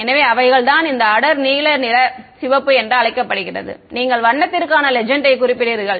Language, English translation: Tamil, So, that is what they called this dark blue red that is the you specify the legend for the colour